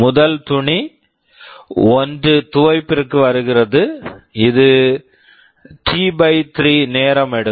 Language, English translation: Tamil, The first cloth comes for washing, this will be taking T/3 time